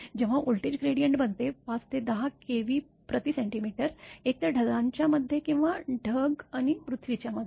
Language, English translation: Marathi, When the voltage gradient become; 5 to 10 kilo Volt per centimeter either between the clouds or between the cloud and the earth